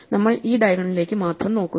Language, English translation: Malayalam, So, we only look at this diagonal